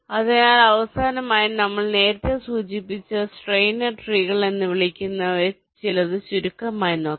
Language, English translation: Malayalam, so, lastly, we look at very briefly some something called steiner trees, which we mentioned earlier